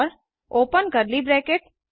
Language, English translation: Hindi, And Open curly bracket